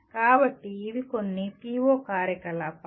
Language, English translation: Telugu, So these are some PO activities